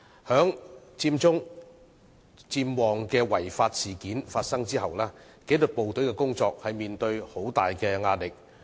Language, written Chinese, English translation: Cantonese, 在佔中、佔旺違法事件發生後，紀律部隊的工作面對很大壓力。, Disciplined forces have been facing tremendous pressure at work after the occurrence of the unlawful Occupy Central and Occupy Mong Kok